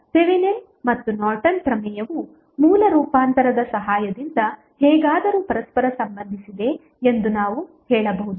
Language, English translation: Kannada, So, we can say that Thevenin and Norton's theorem are somehow related with each other with the help of source transformation